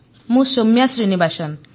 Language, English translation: Odia, I am Soumya Srinivasan